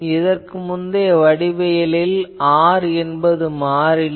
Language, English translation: Tamil, So, in that previous geometry you see the R is fixed